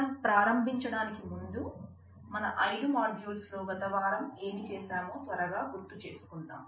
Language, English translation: Telugu, Before we start let me quickly recap what we did last week in the five modules